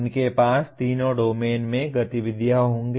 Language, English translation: Hindi, They will have activities in all the three domains